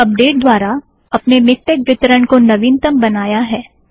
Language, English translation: Hindi, What we did by update is to make our MikTeX distribution current